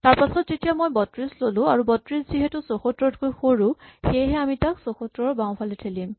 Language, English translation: Assamese, Then when I pick up 32, since 32 smaller than 74, I push it to the left of 74